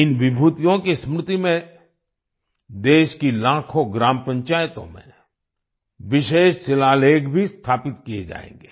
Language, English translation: Hindi, In the memory of these luminaries, special inscriptions will also be installed in lakhs of village panchayats of the country